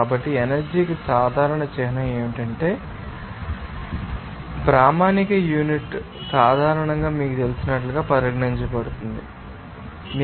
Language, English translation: Telugu, So, the common symbol for the energy is you know used by the later you know that he and standard unit is generally considered as you know, joule there